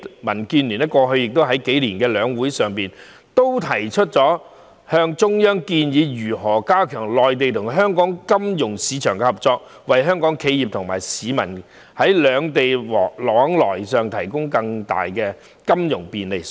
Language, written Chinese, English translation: Cantonese, 民建聯過去數年亦曾在兩會上向中央建議如何加強內地與香港金融市場合作，為香港企業和市民在兩地往來上提供更大的金融便利。, In the past few years DAB also made proposals to the Central Authorities during the two sessions on how the cooperation between the financial markets of the Mainland and Hong Kong could be strengthened to provide better financial facilitation to Hong Kong enterprises and people in the two places